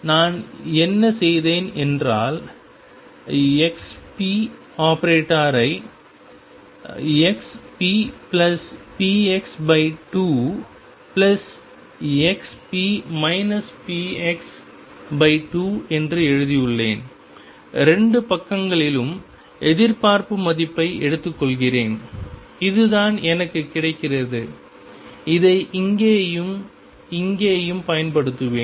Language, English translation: Tamil, What I have done is I have written x p product as xp plus px divided by 2 plus x p minus px divided by 2 even I take the expectation value on the 2 sides this is what I get and I will use this here and here